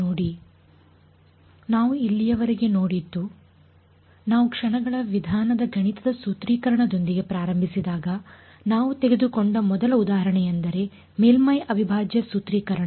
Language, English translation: Kannada, What we have seen so far is when we started with the mathematical formulation of method of moments, the first example we took was the surface integral formulation